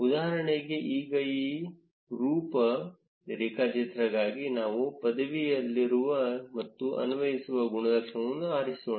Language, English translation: Kannada, For instance, now for this sub graph, let us choose an attribute which is in degree and apply